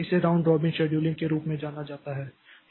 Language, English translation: Hindi, So, this is known as round robin type of scheduling